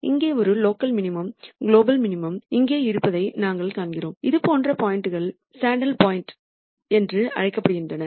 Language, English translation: Tamil, We also see that there is a local maximum here a global maximum here and there are also points such as these which are called the saddle points